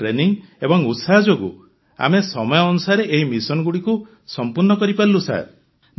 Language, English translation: Odia, Because of our training and zeal, we were able to complete these missions timely sir